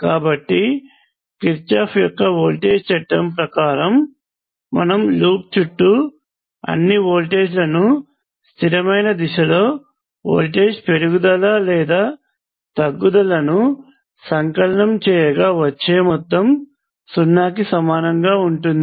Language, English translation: Telugu, So what Kirchhoff’s voltage law says is that this is equal to 0 that is you go around the loop and sum all the voltages in a consistent direction you take either rise or fall the sum will be equal to 0